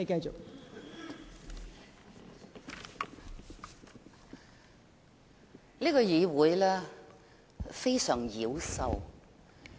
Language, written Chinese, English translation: Cantonese, 這個議會非常妖獸。, This Council is kind of immoral